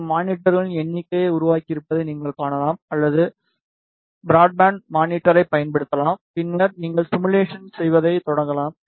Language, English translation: Tamil, You can see it has created number of monitors or you can also use the broadband monitor then you start the simulation